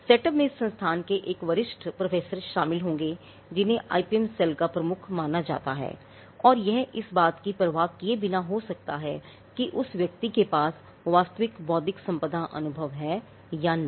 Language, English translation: Hindi, Now, the setup would involve a senior professor from the institution, who is regarded as the head of the IPM cell and this could be regardless of whether the person has actual intellectual property experience or not